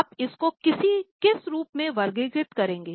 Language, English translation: Hindi, Now, you will categorize it as which type of item